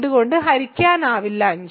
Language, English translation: Malayalam, So, we say 5 is not divisible by 2